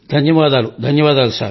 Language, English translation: Telugu, Thank you, Thank you